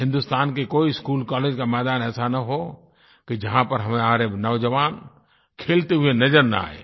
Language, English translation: Hindi, There should not be a single schoolcollege ground in India where we will not see our youngsters at play